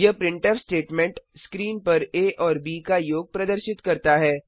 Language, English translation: Hindi, This printf statement displays the sum of a and b on the screen